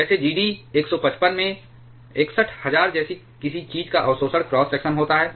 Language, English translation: Hindi, Like for Gd 155 has an absorption cross section of something like 61,000